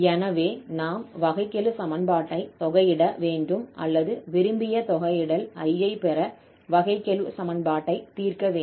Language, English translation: Tamil, So we need to now differentiate, or integrate this differential equation or solve this differential equation to get this I, the desired integral